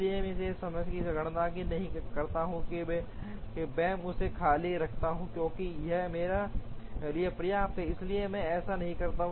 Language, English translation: Hindi, So, I do not calculate this at the moment I simply keep this vacant, because this is enough for me, so I do not do this